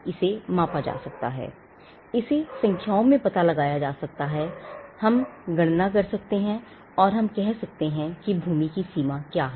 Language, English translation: Hindi, It can be measured, it can be ascertained in numbers, we can compute, and we can say what is the extent of the land